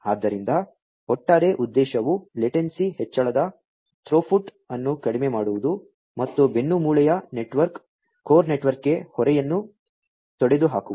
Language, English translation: Kannada, So, the overall objective is to reduce the latency increase throughput and eliminate load onto the backbone network, the core network